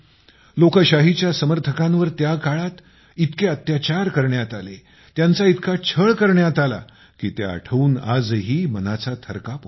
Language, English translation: Marathi, The supporters of democracy were tortured so much during that time, that even today, it makes the mind tremble